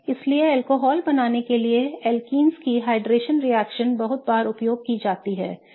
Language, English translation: Hindi, So, we have seen these reactions when alkenes react to form alcohols